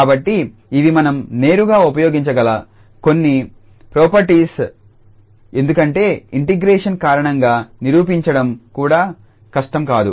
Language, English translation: Telugu, So, these are some of the properties which we can use directly because they are not also difficult to prove because of this integration